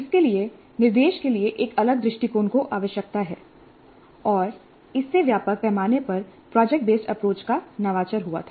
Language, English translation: Hindi, These need a different approach to instruction and that has led to the innovation of project based approach on a wide scale